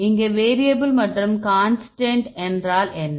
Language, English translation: Tamil, So, what is the variable here what is the constant here